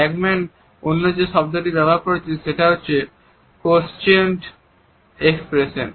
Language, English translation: Bengali, Another term which Ekman has used is squelched expressions